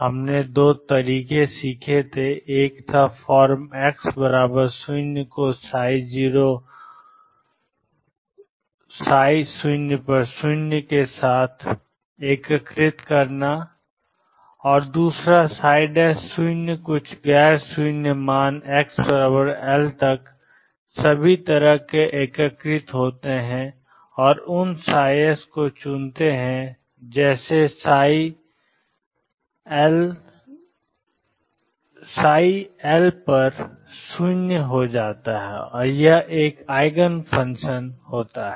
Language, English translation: Hindi, We had learnt two methods one was start integrating form x equals 0 with psi 0 equals 0 and psi prime 0 some nonzero value integrate all the way up to x equals L and choose those psi’s such that psi L equals 0 and that is an eigen function